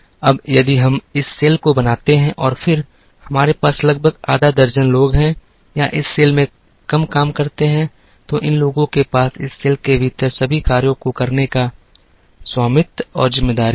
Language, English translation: Hindi, Now, if we create this cell and then, we have about half a dozen people or less working in this cell then, these people will have the ownership and responsibility to carry out all the tasks within this cell